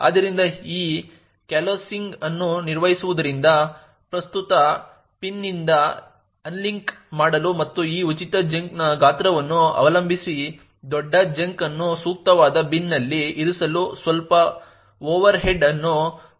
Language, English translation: Kannada, So performing this coalescing also has a slight overhead of requiring to unlink from the current pin and placing the larger chunk in the appropriate bin depending on the size of this free chunk